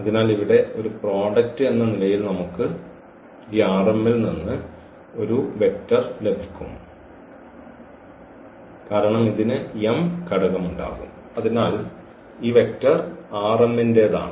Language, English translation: Malayalam, So, as a product here we will get a vector from this R m because this will have m component and so, this vector will belong to R m